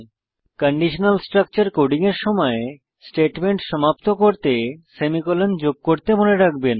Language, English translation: Bengali, While coding conditional structures: * Always remember to add a semicolon while terminating a statement